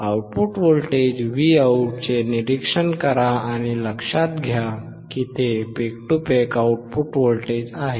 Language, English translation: Marathi, Observe the output voltage Vout and note down it is peak to peak output voltage